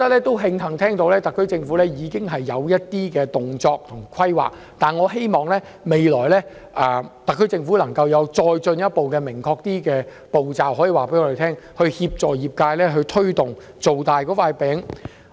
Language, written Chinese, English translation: Cantonese, 我慶幸得知特區政府已採取一些行動及進行規劃，但希望特區政府可以告訴我們，未來有何進一步、更明確的步驟，以協助推動業界把"餅"造大。, I am glad to learn that the SAR Government has taken steps to conduct planning on it and we hope that the SAR Government will tell us what further and more specific steps will be taken to facilitate the industrys work in making a bigger pie